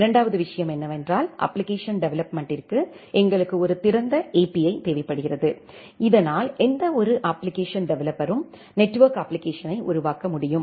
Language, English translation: Tamil, The second thing is that we require an open API for the application development so, that any application developer can develop a network application